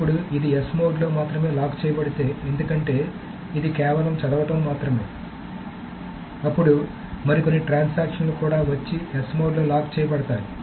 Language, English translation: Telugu, Now what if this is locked only in the S mode because it is only reading, then some other transaction may also come and lock it in a S mode